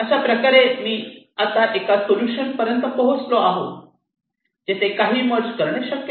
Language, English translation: Marathi, now i have arrived at a solution where you cannot merge anything else any further